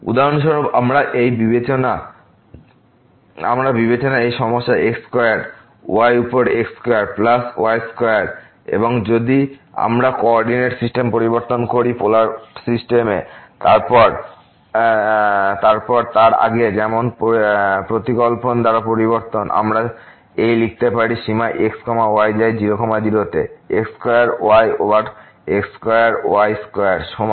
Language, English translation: Bengali, For example, we consider this problem square over square plus square and if we change the coordinate system to the Polar, then by the substitution as earlier, we can write down this limit goes to ; square over square square is equal to